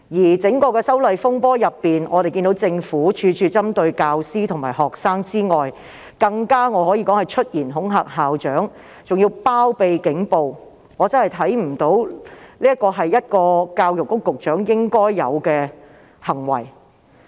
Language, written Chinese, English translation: Cantonese, 在整場修例風波中，我們看到政府除了處處針對教師和學生外，更可說是出言恐嚇校長，包庇警暴，我真的不認為這是教育局局長應有的行為。, During the disturbances arising from the opposition to the proposed legislative amendments we can see that the Government did not only target teachers and students in every respect but also threatened principals and condoned police brutality . I truly believe that the Secretary for Education should not have done this